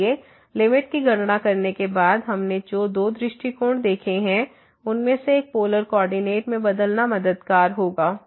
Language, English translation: Hindi, So, computing the limit then what we have seen two approaches the one was changing to the polar coordinate would be helpful